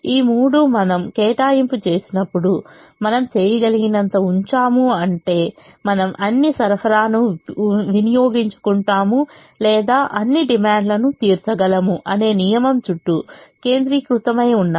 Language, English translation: Telugu, all three of them are centered around a principle: that when we make an allocation, we put as much as we can, which means we either consume all the supply or exhaust all the demand